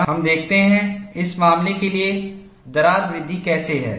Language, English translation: Hindi, And let us see, how the crack growth for this case is